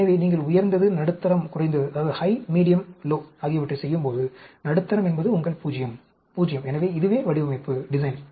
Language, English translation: Tamil, So, when you are doing high, medium, low, medium is your 0, 0; so, this is the design